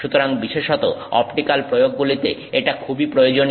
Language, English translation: Bengali, So, particularly for optical applications, this is very useful